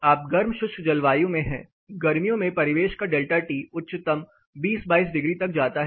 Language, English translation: Hindi, You are in a hot dry climate in summer the ambient delta T goes as highest 20 22 degrees